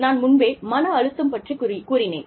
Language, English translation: Tamil, I told you about, stress